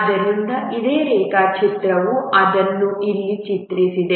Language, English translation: Kannada, So the same diagram, just drawn it here